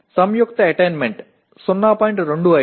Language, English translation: Telugu, The combined attainment is 0